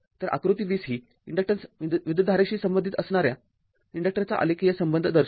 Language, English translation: Marathi, So, this figure 20 shows the relationship graphically for an inductor whose inductance is independent of the current